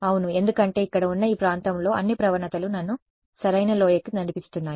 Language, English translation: Telugu, Yes because in this region over here all the gradients are guiding me to the correct valley